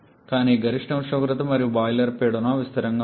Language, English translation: Telugu, But the maximum temperature and the boiler pressure, they are constant